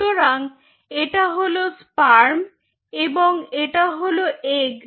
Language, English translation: Bengali, so you have, this is sperm